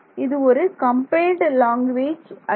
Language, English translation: Tamil, It is not a compiled language